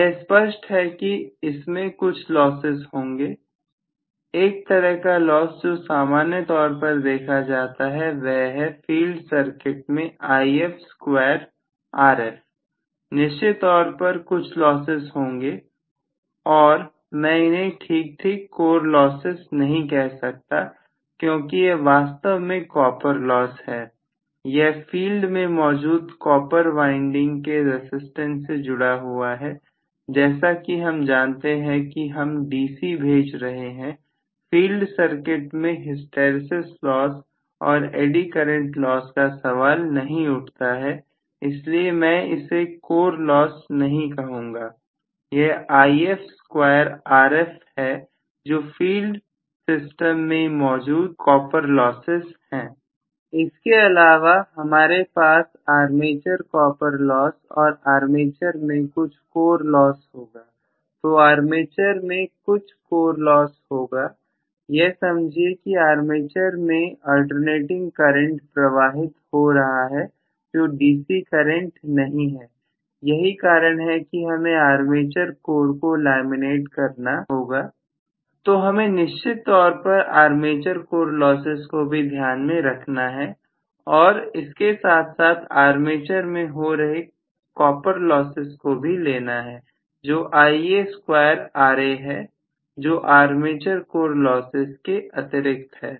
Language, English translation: Hindi, Now, very clearly even this will have some losses, one of the losses that we normally see is If square Rf in the field circuit I am going to have definitely some losses I would not really called them as exactly core losses because it is actually the copper loss, the resistance of the copper winding which is existing in the field, after all I am sending a DC, so there is no question of hysteresis loss and eddy current loss in the field circuit, so I will not called them as core losses it is If square Rf which is the copper loss inside the system